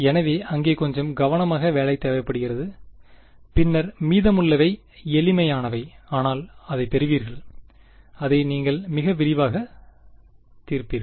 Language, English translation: Tamil, So, some amount of careful work is needed over there, then the rest is simple, but will get it you will solve it in great detail